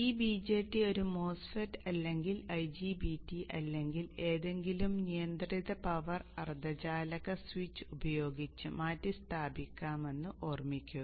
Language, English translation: Malayalam, Remember that this BJT can be replaced by a MOSFET or an IGBT 2 any controlled power semiconductor switch